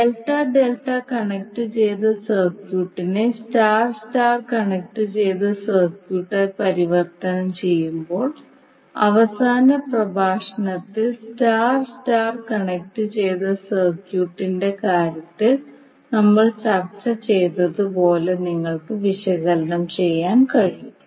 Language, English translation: Malayalam, So using that when you convert delta delta connected circuit into star star connected circuit, you can simply analyze as we discuss in case of star star connected circuit in the last lecture